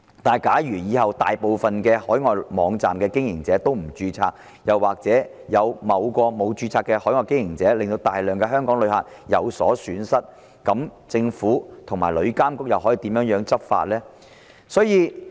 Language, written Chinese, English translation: Cantonese, 然而，如果日後大部分海外網站的經營者都不註冊，又或有某個沒有註冊的海外經營者令到大量香港旅客有所損失，政府和旅監局又可以如何執法呢？, However in case most of the operators of overseas websites do not register in future or if a certain unregistered overseas operator has caused losses to a lot of Hong Kong travellers how then will the Government and TIA enforce the law?